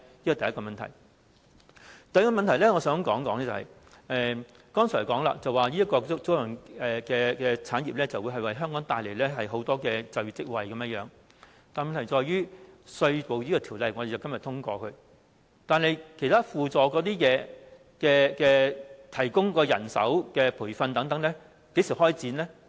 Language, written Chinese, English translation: Cantonese, 我想提出的第三個問題是，剛才提到租賃產業會為香港帶來很多就業職位，但問題在於當我們今天通過這項《條例草案》後，其他輔助計劃，例如提供人手及培訓等，究竟會在何時開展呢？, The third question I wish to raise is about the argument that aircraft leasing business will bring about many job opportunities in Hong Kong . But after we have passed the Bill today when will other ancillary measures such as those on manpower supply and training be launched? . We have seen nothing so far